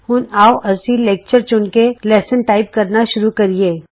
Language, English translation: Punjabi, Now, let us select the lecture to begin the typing lessons